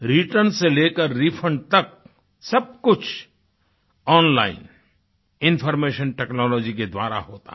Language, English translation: Hindi, Everything from return to refund is done through online information technology